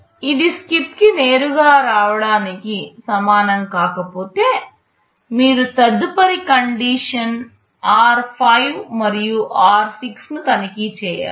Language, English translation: Telugu, If it is not equal to straight away come to SKIP, then you check the next condition r5 and r6